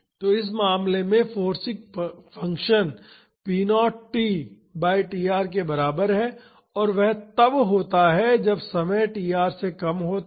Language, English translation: Hindi, So, in this case the forcing function is equal to p naught t by tr and that is when the time is less than tr